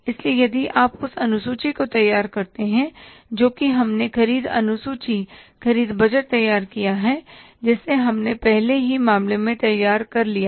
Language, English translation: Hindi, So if you recall the schedule which we prepared, the purchase schedule, purchase budget we prepared earlier in the earlier